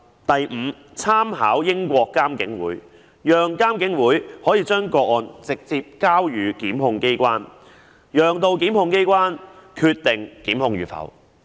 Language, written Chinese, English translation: Cantonese, 第五，參考英國監警會，讓監警會可以把個案直接交予檢控機關，由檢控機關決定檢控與否。, Fifth reference should be drawn from the practice of IPCC of the United Kingdom so that IPCC can directly transfer cases to the prosecuting authorities for them to decide whether or not to initiate prosecution